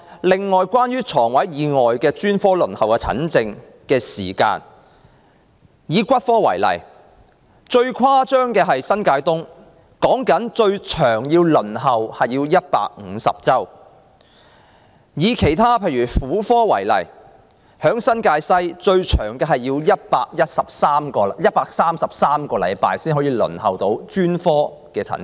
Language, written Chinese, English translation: Cantonese, 輪候專科門診的時間，以骨科為例，最誇張的是新界東，最長要150周，婦科方面，新界西最長要等133周才可預約診症。, In respect of the waiting time for an appointment at specialist outpatient clinics in various districts taking orthopaedics and traumatology for example the worst is New Territories East which is 150 weeks; and for gynaecology it can take as long as 133 weeks in New Territories West